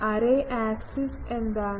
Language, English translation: Malayalam, What is the array axis